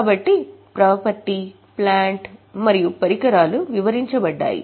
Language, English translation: Telugu, So, property plant and equipment is described